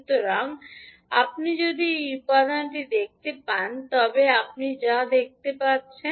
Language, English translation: Bengali, So, if you see this particular component what you can see